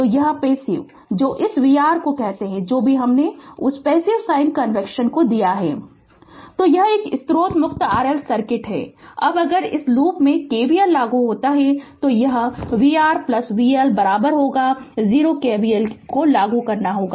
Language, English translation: Hindi, So, that passive ah your what you call this ah your v R whatever we have taken that passive sign convention right So, this is a source free RL circuit, now if you if you apply in this loop the KVL it will be v R plus vL is equal to 0 you apply KVL